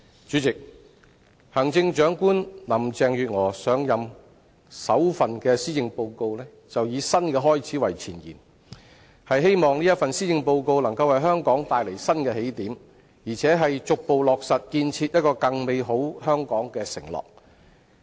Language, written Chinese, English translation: Cantonese, 主席，行政長官林鄭月娥上任後首份施政報告以"新的開始"為前言，希望這份施政報告能夠為香港帶來新的起點，而且逐步落實建設一個更美好香港的承諾。, President Chief Executive Carrie LAM has used A New Beginning as the title of the Introduction of her maiden Policy Address in the hope that the address will set new starting points for Hong Kong and chart the gradual delivery of her pledge of building an even better Hong Kong